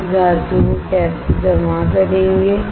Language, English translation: Hindi, How you will deposit this metal